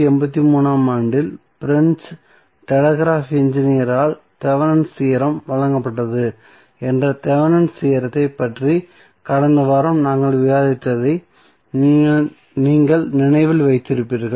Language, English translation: Tamil, Norton's Theorem if you remember what we discussed in the last week about the Thevenin's theorem that Thevenin theorem was given by French telegraph Engineer in 1883 then around 43 years after in 1926 the another American Engineer called E